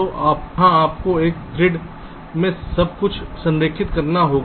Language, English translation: Hindi, so there you have to align everything to a grid